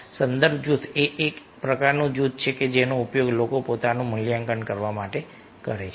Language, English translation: Gujarati, reference group is a type of group that people use to evaluate themselves